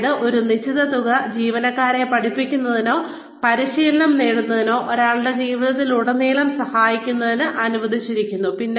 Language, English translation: Malayalam, Which means, a certain sum of money, is allocated, to helping the employee learn, or gets training, throughout one's life